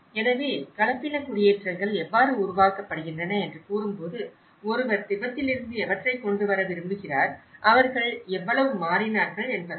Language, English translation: Tamil, So, when we say how hybrid settlements are produced, one is wanted to bring from Tibet and how much did they adapt